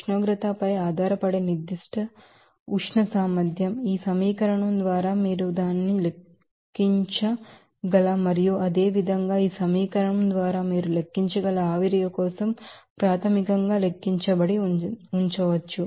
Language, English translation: Telugu, So, for that, you know, temperature dependent specific heat capacity, can be you know calculated for basically for what are you can calculate it by this equation and similarly for vapour you can calculate by this equation